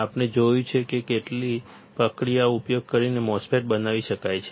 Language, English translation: Gujarati, We have seen how the MOSFET can be fabricated using the process flow